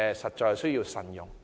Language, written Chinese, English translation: Cantonese, 實在有需要慎用。, It must be used carefully